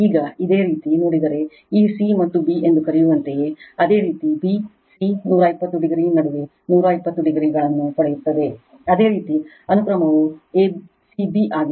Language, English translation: Kannada, Now, if you look in to your, what you call this c and b, you will get 120 degree here also between b c 120 degree that means, your sequence is a c b right